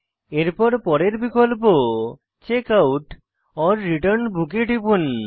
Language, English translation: Bengali, Again click on Checkout/Return Book